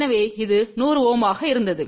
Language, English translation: Tamil, So, this was 100 Ohm